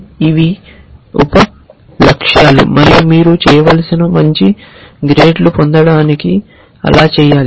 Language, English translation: Telugu, These are sub goals and to do that to get good grades what you have to do